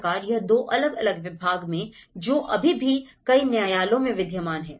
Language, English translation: Hindi, So, this is the two different separation of these departments are still existing in many of the jurisdictions